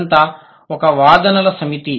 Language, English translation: Telugu, This is one set of argument